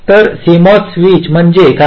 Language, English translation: Marathi, so what is a cmos switch